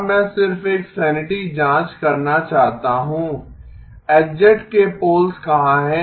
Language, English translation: Hindi, Now I want to just do a sanity check, where are the poles of H of z